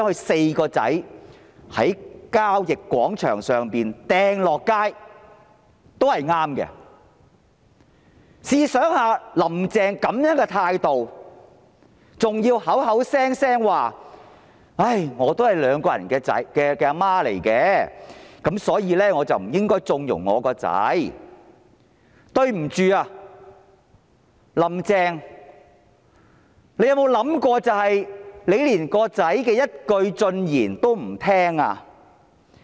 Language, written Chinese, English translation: Cantonese, 試想一想，"林鄭"這樣的態度，口口聲聲說："我是兩名兒子的母親，所以我不應該縱容我的孩子"，但對不起，"林鄭"，你有沒有想過，你連兒子的一句進言也不聽？, Think about Carrie LAMs attitude in saying categorically that she being a mother of two sons should not indulge her children . But sorry Carrie LAM has it ever occurred to you that you have refused to listen to even one single piece of advice from your sons?